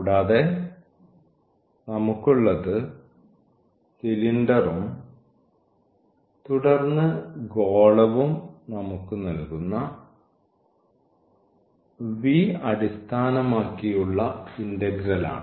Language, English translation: Malayalam, And, we have this integral over this v which is given by the cylinder and then we have the sphere